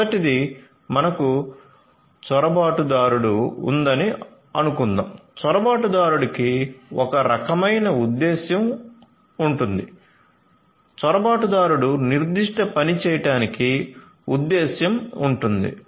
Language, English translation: Telugu, Number one consider that we have an intruder, so for an intruder the intruder will have some kind of motive, some motive must be there for the intruder to do certain thing